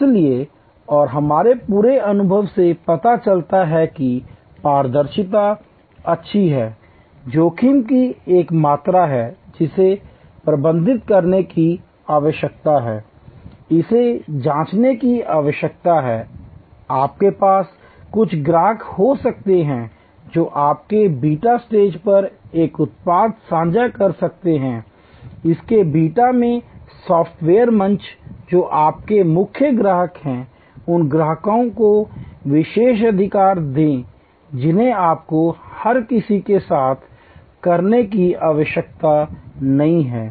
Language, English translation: Hindi, So, and the whole our experience shows that transparency is good, there is a amount of risk that needs to be managed, need to calibrate it, you can have some customers with you can share a product at its beta stage, software at its beta stage that are your core customers, privilege customers you do not need to do it with everybody